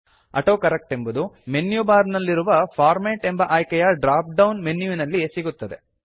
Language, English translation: Kannada, AutoCorrect is found in the drop down menu of the Format option in the menu bar